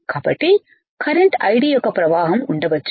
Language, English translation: Telugu, So, there can be flow of current I D